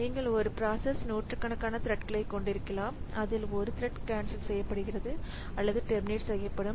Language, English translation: Tamil, So, if you a process may have 100 threads out of which one thread is getting cancelled or terminated